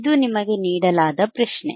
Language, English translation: Kannada, tThis is the question given to you